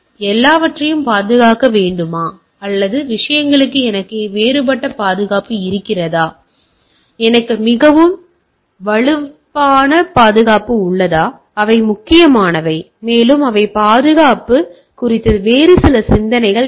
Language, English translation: Tamil, So, whether to protect everything or I have different level of security for the things, I have a very cool level security or very strong security for those things which are which matters, and which are maybe some other thought of security